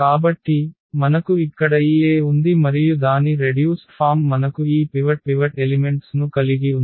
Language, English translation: Telugu, So, we have this A here and its reduced form we have these pivot elements